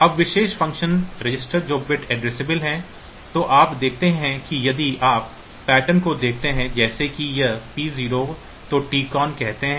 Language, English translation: Hindi, Now, the special function registers that are Bit Addressable so, you see that if you look into the pattern like say this P 0 then this T con